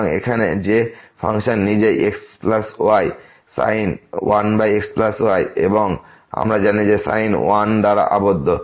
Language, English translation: Bengali, So, here that is in the function itself plus sin 1 over plus and we know that the sin is bounded by 1